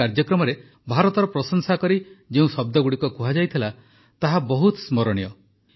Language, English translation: Odia, The words that were said in praise of India in this ceremony are indeed very memorable